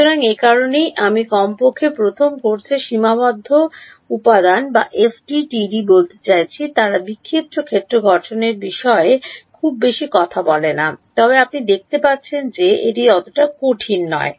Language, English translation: Bengali, So, this is that is why I mean in at least in the first course in finite element or FDTD they do not talk about scattered field formulation very much, but you can see it is not that difficult